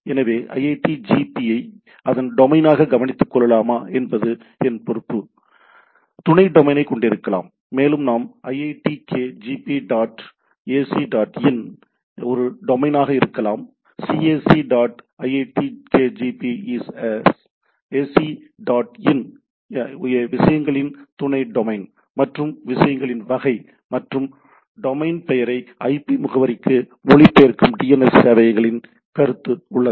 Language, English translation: Tamil, So, what it its responsibility whether it will take care the iitkgp as its domain, can have sub domain and so and so forth like we “iitkgp dot ac dot in” may be a domain, “cac dot iitkgp is ac dot in” a sub domain on the things, and the type of things, and there are concept of DNS servers which translate the domain name to the IP address